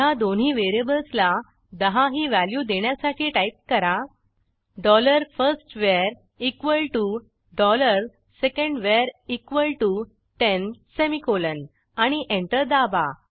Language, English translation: Marathi, And now let us assign the value 10 to both of these variables by typing, dollar firstVar equal to dollar secondVar equal to ten semicolon And Press Enter